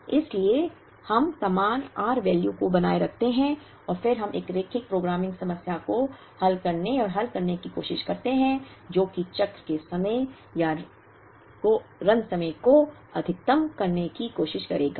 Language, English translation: Hindi, Therefore, we retain the same r values and then we try and solve a linear programming problem that would try and maximize the cycle time or the run time